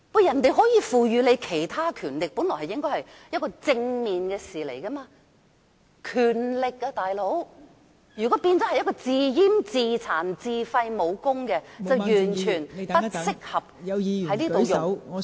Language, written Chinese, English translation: Cantonese, 香港可獲賦予其他權力，本來是正面的事，但如果變成自閹、自殘、自廢武功便完全不適合......, It is originally a positive thing for Hong Kong to be conferred other powers but it is not at all appropriate for Hong Kong to castrate or harm itself or even curtail its own power